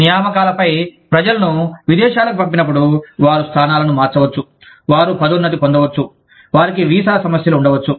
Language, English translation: Telugu, When people are sent abroad on assignments, they may change positions, they may get promoted, they may have visa issues